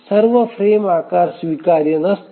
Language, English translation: Marathi, All plausible frame sizes may not be acceptable